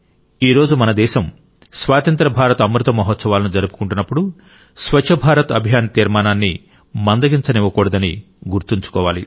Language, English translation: Telugu, Today, when our country is celebrating the Amrit Mahotsav of Independence, we have to remember that we should never let the resolve of the Swachh Bharat Abhiyan diminish